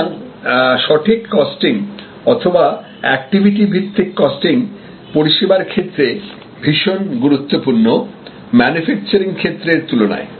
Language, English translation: Bengali, So, proper costing or activity based costing is very important in services as suppose to manufacture goods